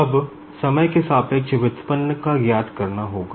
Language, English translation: Hindi, Now, I will have to find out the derivative with respect to time